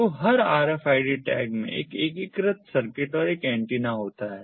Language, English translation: Hindi, so every rfid tag consists of an integrated circuit and an antenna